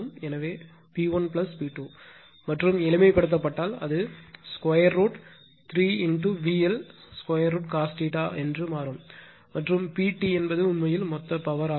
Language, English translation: Tamil, So, P 1 plus P 2 and simplified , you will see it will become root 3 V L I L cos theta , and total that means, P T is P T actually is a total power